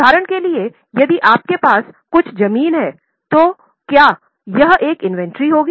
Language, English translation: Hindi, Now, for example, if you are holding some land, will it be an inventory